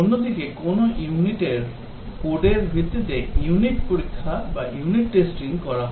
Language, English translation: Bengali, Whereas, based on the code of a unit, the unit testing is carried out